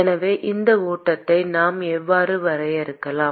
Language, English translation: Tamil, So, how can we define this flux